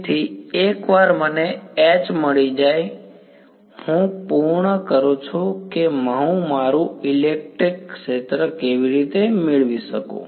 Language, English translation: Gujarati, So, once I have got H, I am done I can get my electric field how; by taking